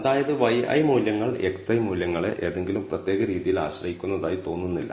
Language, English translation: Malayalam, That is x y i values do not seem to depend in any particular manner on the x i values